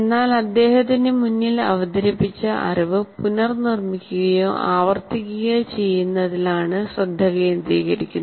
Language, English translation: Malayalam, But he is essentially the focus is on reproducing the or repeating the knowledge that is presented to him